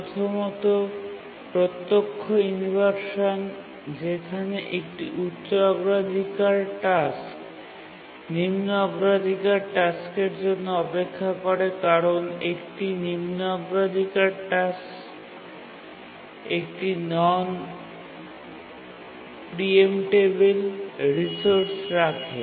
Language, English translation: Bengali, The direct inversion where a high priority task waits for a lower priority task just because the lower priority task is holding a non preemptible resource